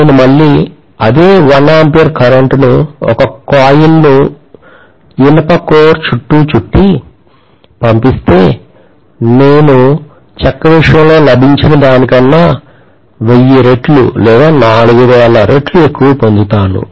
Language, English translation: Telugu, Whereas if I am winding a coil, again passing the same 1 ampere of current in a coil which is wound around an iron core I am going to get maybe 1000 times or 4000 times more than what I got in the case of wood